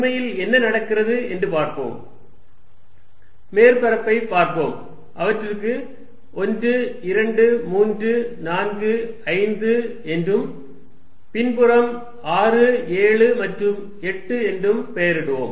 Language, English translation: Tamil, Let us really see what happens, let us look at the surface let me name it 1, 2, 3, 4, 5 in the backside 6, 7 and 8